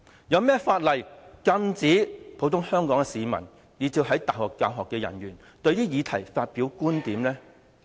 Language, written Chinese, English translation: Cantonese, 有何法例禁止香港普通市民以至是大學教學人員就這些議題發表觀點呢？, Which law bans the general public and teaching staff of universities from expressing views on such topics?